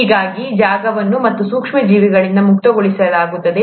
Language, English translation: Kannada, That is how the space is gotten rid of these micro organisms